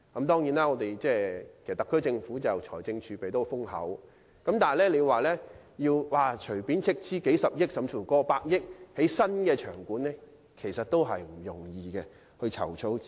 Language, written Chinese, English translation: Cantonese, 雖然特區政府的財政儲備十分豐厚，但要隨便斥資數十億元甚至過百億元興建新場館，在籌措資金方面也不容易。, Although the SAR Government has hoarded a substantial reserve it is not an easy task to finance the building of new venues costing billions and even tens of billions of dollars at any time